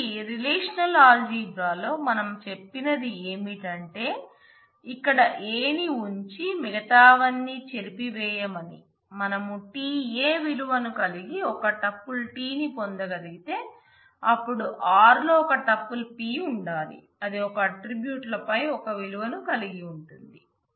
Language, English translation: Telugu, So, it is the same thing in relational algebra we said that keep a and erase everything else here we are saying that if we have been able to get a tuple t which has a value t a then there must be a tuple p in r, which has the same value over the same attribute